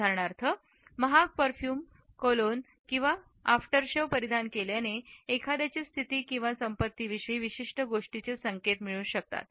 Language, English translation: Marathi, For example, wearing an expensive perfume, cologne or aftershave can signal a certain status and wealth